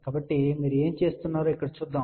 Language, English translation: Telugu, So, let us see here what you do